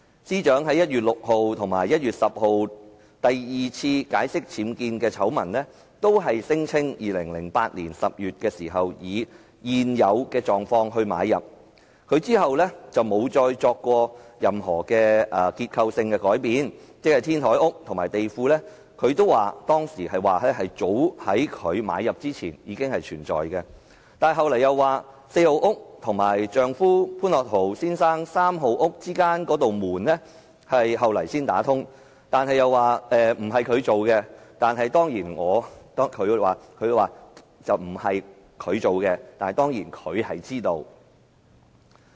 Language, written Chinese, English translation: Cantonese, 司長在1月6日和1月10日第二次解釋僭建醜聞時，同樣聲稱2008年10月時以"現有狀況"買入物業，之後沒有再作過任何結構性改變，她當時仍然表示，天台屋和地庫早在她購入之前已有，但她其後又表示，四號屋和丈夫潘樂陶先生三號屋之間的那扇門，後來才打通，據她所說："工程不是由她進行，但她當然是知道的。, When the Secretary for Justice gave an account of her UBWs scandal on 6 January and the second time on 10 January she still claimed that after she bought the property in October 2008 the property remained as it was until today and no structural alteration had been carried out afterwards . At that time she still said that the glass house on the roof and the basement had existed before she bought the house . But later she said the door connecting House 4 and House 3 of her husband Otto POON was added at a later time